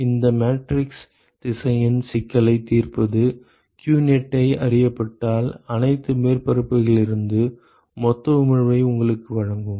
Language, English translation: Tamil, So, solving this matrix vector problem will actually give you the total emission from all the surfaces if qneti is known